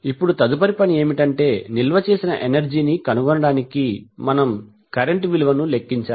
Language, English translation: Telugu, Now the next task is that to find the energy stored, we have to calculate the value of current